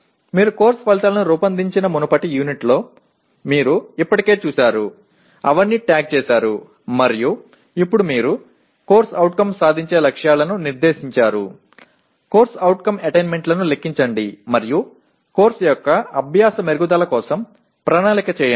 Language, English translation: Telugu, You take, you have already done in the earlier units you have designed course outcomes, tagged them all and now you set CO attainment targets, compute CO attainment and plan for improvement of learning for the course